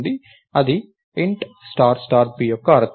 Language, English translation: Telugu, So, thats the meaning of int star star p